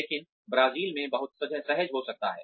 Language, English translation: Hindi, But, may be very comfortable in Brazil